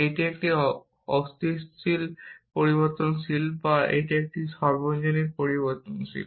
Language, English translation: Bengali, Is it a existential variable or is it a universal variable